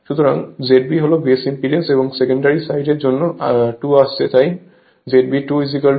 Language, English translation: Bengali, So, Z B stands for your base impedance and 2 stands for secondary side so, Z B 2 is equal to V 2 upon I 2